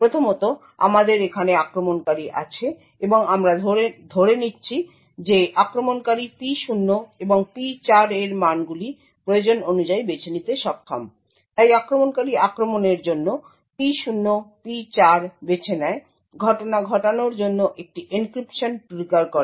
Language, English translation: Bengali, So, first of all we have the attacker over here and we will assume that the attacker is able to choose the values of P0 and P4 as required, so the attacker chooses P0, P4 for attack, triggers an encryption to occur